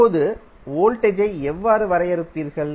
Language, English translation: Tamil, Now, how will you define the voltage